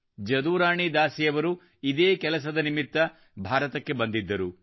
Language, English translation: Kannada, Jadurani Dasi ji had come to India in this very connection